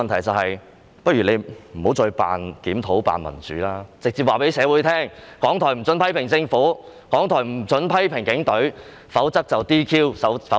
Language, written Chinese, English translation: Cantonese, 政府不如不要再扮檢討，扮民主，而是直接告訴社會，港台不可以批評政府，不可以批評警隊，否則會遭 "DQ"， 要關閉。, Instead of feigning conducting any review and upholding democracy the Government had better tell the community directly that RTHK should not criticize the Government and the Police Force or else it will be subjected to DQ and shut down